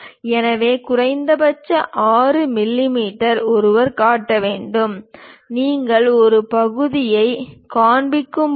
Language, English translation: Tamil, So, minimum 6 mm length one has to show; when you are showing a section